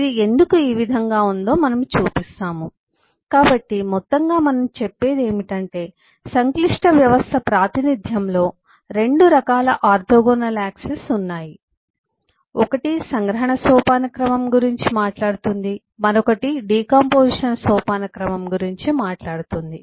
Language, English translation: Telugu, so all that we are saying, that kind of the complex system representation has kind of 2 orthogonal access: 1 which talks of the abstraction hierarchy, the other which talks about decomposition hierarchy